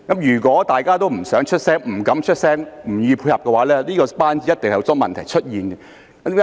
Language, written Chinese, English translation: Cantonese, 如果大家都不願發聲，不敢發聲，不願意配合，這個班子一定會有很多問題出現。, If everyone is neither willing nor courageous to speak out and reluctant to cooperate there will certainly be many problems with the team